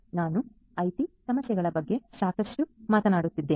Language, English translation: Kannada, So, I have been talking a lot about the IT issues